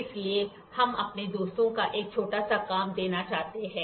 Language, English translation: Hindi, So, I would like to give a small assignment to our friends